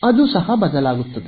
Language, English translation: Kannada, It will change right